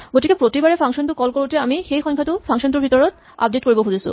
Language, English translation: Assamese, So every time a function is called we would like to update that integer inside this function